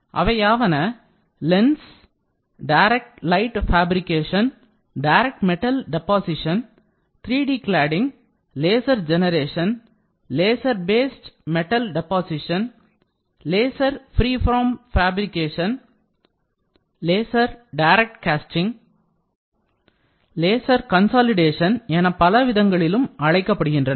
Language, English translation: Tamil, So, the machines can be referred as LENS, direct light fabrication, direct metal deposition, 3D cladding, laser generation, laser based metal deposition, laser freeform fabrication, laser direct casting, laser cast, laser consolidation laser lasform and others